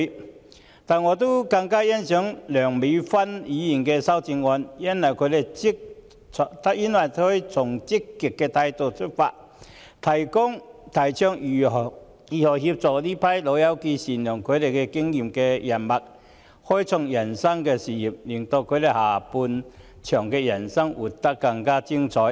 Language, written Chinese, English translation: Cantonese, 然而，我更欣賞梁美芬議員的修正案，因為她從積極的角度出發，提倡如何協助這群"老友記"善用他們的經驗人脈，開創人生的事業，令他們人生的下半場活得更精彩。, Yet I consider the amendment of Dr Priscilla LEUNG warrants greater appreciation for she addresses the issue from a positive perspective . Her amendment proposes ways to assist these old pals in using their experience and connections to start up a new career so that they can lead a more fruitful life in the second half of their lives